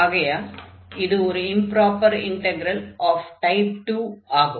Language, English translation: Tamil, So, this will be improper integral of type 2